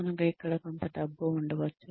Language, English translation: Telugu, We may have some money here